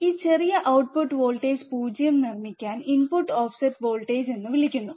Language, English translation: Malayalam, This small voltage that is required to make the output voltage 0 is called the input offset voltage